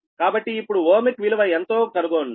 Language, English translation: Telugu, now find out what is is ohmic value